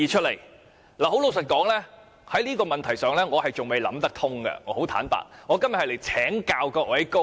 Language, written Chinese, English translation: Cantonese, 老實說，就這問題，我還仍然無法想得通，所以我今天想請教各位高明。, Frankly speaking I am still unable to sort out one question . So today I wish to seek Members enlightenment